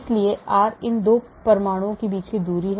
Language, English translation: Hindi, so r is the distance here between these 2 atoms